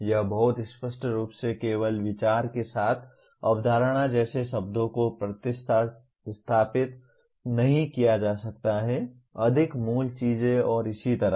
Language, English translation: Hindi, It could not be stated very clearly only replaced words like concept with idea, more fundamental things and so on like that